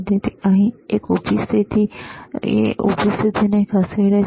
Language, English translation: Gujarati, So, a vertical positioning he is moving the vertical position